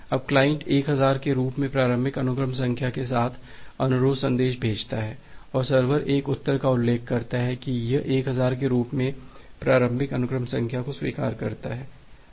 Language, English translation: Hindi, Now the client sends request message with say initial sequence number as 1000, and the server sends a reply mentioning that it accepts the initial sequence number as 1000